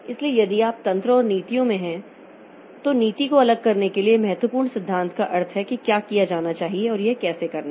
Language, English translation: Hindi, So, if you look into the mechanisms and policies then the important principle to separate like policy means what to be done and mechanism is how to do it